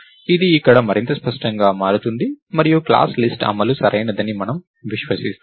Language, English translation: Telugu, This becomes much cleaner here, and we trust the implementation of the class List to be correct and complete